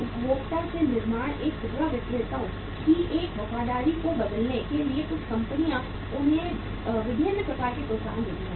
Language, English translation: Hindi, To change this loyalty of the retailers from the consumer to the manufacturer some companies give them different kind of incentives